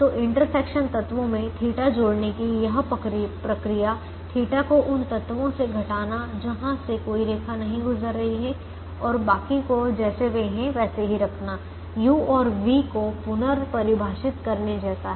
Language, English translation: Hindi, so this process of adding the theta to the intersection elements, subtracting the theta from elements where no lines is passing through and keeping the rest of them as they are, is like redefining the u's and the v's